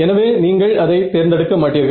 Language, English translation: Tamil, So, you do not choose that right